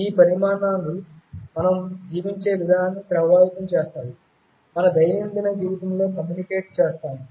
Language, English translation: Telugu, These developments shall be influencing the way we live, we communicate in our daily life